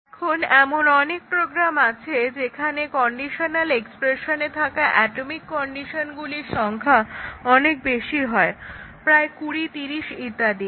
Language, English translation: Bengali, Now, with this motivation that there are many programs where a number of atomic conditions in the conditional expressions is large of the order of 20, 30, etcetera